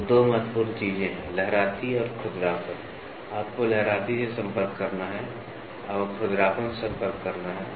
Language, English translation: Hindi, So, that two important things are waviness and roughness; you have to contact waviness, you have to contact roughness